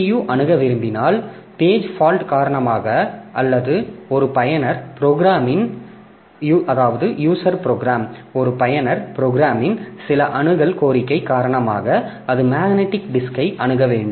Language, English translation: Tamil, CPU if it wants to access, if it finds that due to page fault or due to some access request by a user program, it needs to access the magnetic disk